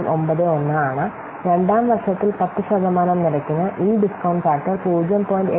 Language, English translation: Malayalam, 9091 for 10% interest for second year this discounted factor is 0